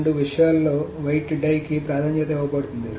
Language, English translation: Telugu, So among the two things the weight die is preferred